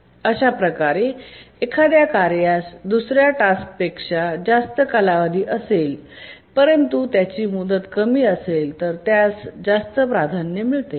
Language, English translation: Marathi, So even if a task has higher period than another task but it has a lower deadline then that gets higher priority